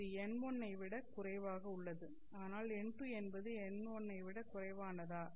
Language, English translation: Tamil, Here you have n2 less than n1